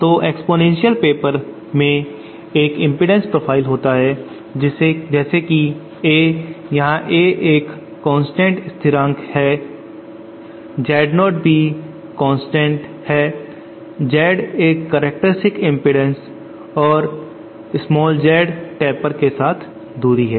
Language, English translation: Hindi, So exponential paper has an impedance profile like this where A is a constant, Z 0 is also constant, Z capital is the characteristic impedance small Z is the distance along the taper